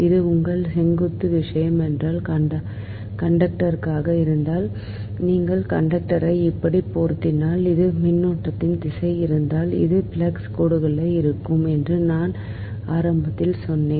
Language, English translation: Tamil, i will told you at the beginning that if this is that, if this is the your vertical thing, that conductor, and if you rub the conductor like this, and if this is the direction of the current, then this will be the flux lines right, so with direction given by the right hand rule